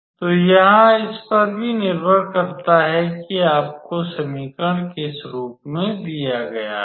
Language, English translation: Hindi, So, here it also depends on in what form you are given the equation